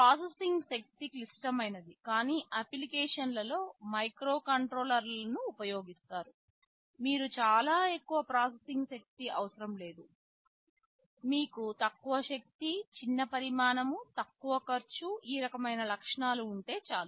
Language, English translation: Telugu, Microcontrollers are used in applications where processing power is not critical, you do not need very high processing power rather you need low power, small size, low cost, these kinds of attributes